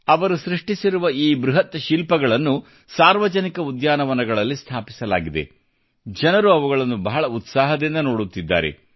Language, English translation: Kannada, These huge sculptures made by him have been installed in public parks and people watch these with great enthusiasm